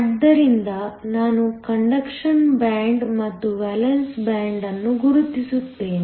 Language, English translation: Kannada, So, let me just mark the conduction band and the valence band